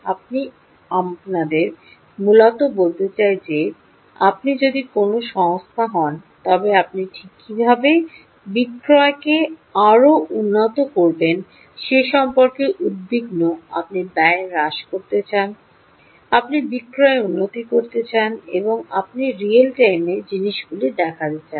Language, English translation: Bengali, you want to, let's say, essentially, if you are, if you are a company, you are just worried about how to improve sales, right, you want to reduce cost, you want to improve sales and you want to view things in real time